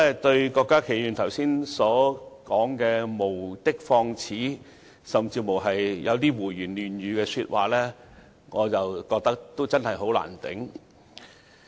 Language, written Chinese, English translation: Cantonese, 對於郭家麒議員剛才無的放矢，甚至胡言亂語的說話，我真的難以接受。, Those comments made by Dr KWOK Ka - ki a moment ago were definitely unacceptable to me as they were groundless accusations or even nonsensical remarks